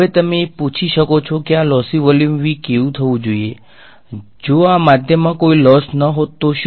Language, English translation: Gujarati, Now you might ask why this lossy volume V right, why should the volume V lossy, what if the; what if there was no loss in this medium